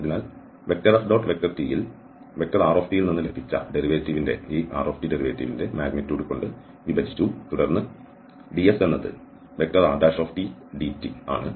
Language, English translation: Malayalam, So F dot and the t we have substituted from there R derivative divided by the magnitude of this R derivative, and then this ds is R derivative magnitude into dt